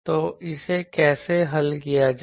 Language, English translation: Hindi, So, how to solve that